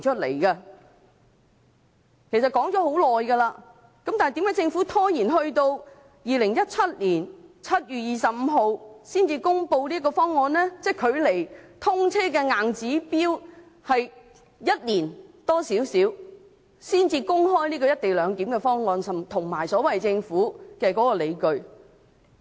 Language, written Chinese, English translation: Cantonese, 為何政府拖延至2017年7月25日才公布"一地兩檢"的方案？即距離通車的硬指標只有1年多，才公開"一地兩檢"的方案，以及政府的所謂理據。, Why did the Government keep procrastinating and only announced the proposed co - location arrangement and the so - called justifications on 25 July 2017 which is just a year or more before the scheduled commissioning of XRL?